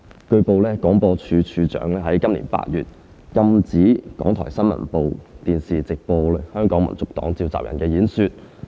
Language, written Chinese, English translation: Cantonese, 據報，廣播處長於今年8月禁止港台新聞部電視直播香港民族黨召集人的演講。, It has been reported that in August this year the Director of Broadcasting prohibited the News and Current Affairs of RTHK from televising live a speech delivered by the Convenor of the Hong Kong National Party